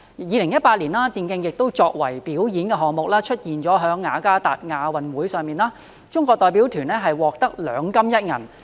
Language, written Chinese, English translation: Cantonese, 2018年，電競作為表演項目，出現在雅加達亞洲運動會上，中國代表團獲得兩金一銀。, In 2018 e - sports was presented as a performance programme in the Jakarta Asian Games where the Chinese delegation won two gold and one silver medals